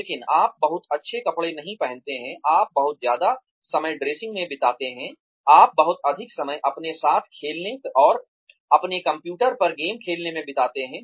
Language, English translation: Hindi, but you do not dress up very well, you spend too much time dressing up, you spend too much time playing with your, playing games on your computer